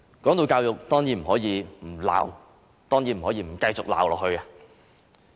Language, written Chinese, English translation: Cantonese, 談到教育，當然不可以不繼續批評。, With regard to education I certainly cannot stop criticizing